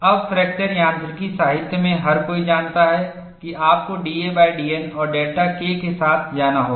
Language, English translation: Hindi, Now, everybody in fracture mechanics literature knows, that you have to play with d a by d N and delta K